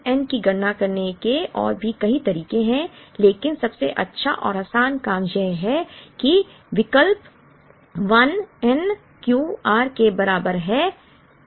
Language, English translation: Hindi, Now, there are more involved ways of computing this n but the best and the easiest thing to do is to substitute n is equal to 1 get Q r